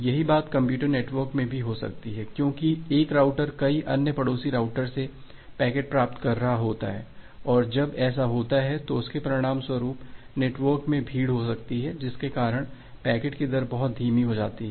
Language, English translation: Hindi, The same thing can happen in a computer network because a router is receiving packets from multiple other neighboring routers and when it happens, it may it may result in a congestion in the network, because of which the rate of packet becomes very slow